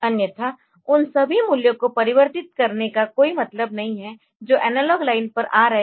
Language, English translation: Hindi, Otherwise there is no point converting all the values that are coming on to the analog line